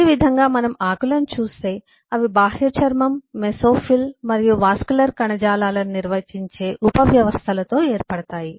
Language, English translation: Telugu, similarly, if we look at leaves, they are formed of subsystems defining epidermis, mesophyll and the vascular tissues